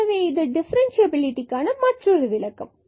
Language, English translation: Tamil, So, we are talking about the differential